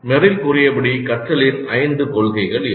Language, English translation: Tamil, So these are the five principles of learning as stated by Merrill